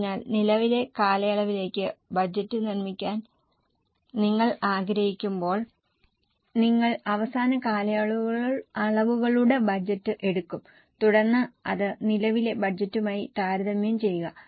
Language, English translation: Malayalam, So when you want to make budget for the current period you will take the last period's budget and then compare that with the current budget